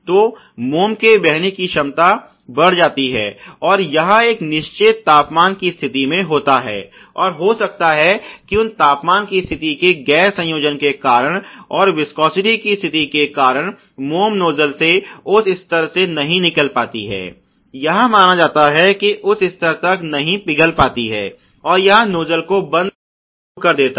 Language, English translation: Hindi, So, that follow ability can increase etcetera also it has to be done at a certain temperature condition, and may be because of noncompliance of those temperature condition, and viscosity conditions the wax which is coming into the nuzzle may not be to the level, you know may not be melted to the level that it is supposed to be and it starts clogging nuzzle